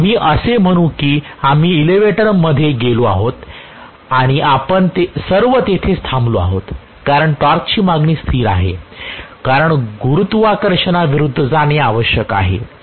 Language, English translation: Marathi, Let us say we have gotten into the elevator and all of us are just staying there the torque demand is a constant because it has to go against the gravity